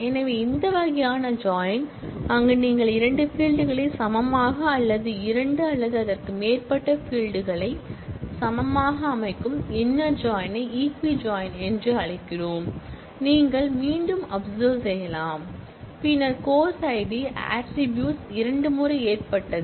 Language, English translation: Tamil, So, this kind of a join, where inner join, where you set two fields to be equal or two or more fields to be equal is also known as equi join and since we have not specified natural, you can again observe, then the course id attribute has occurred twice